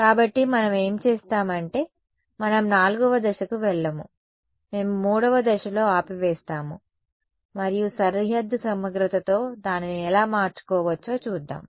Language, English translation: Telugu, So, what we will do is we will not go to step 4 we will stop at step 3 and we will see how we can marry it with boundary integral ok